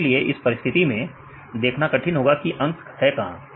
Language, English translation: Hindi, So, in this case it is very difficult to see where the numbers are